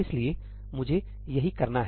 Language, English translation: Hindi, So, this is what I need to do